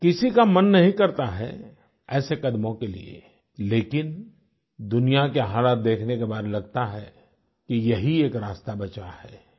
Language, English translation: Hindi, No one wants to go that way; looking at what the world is going through, this was the only way left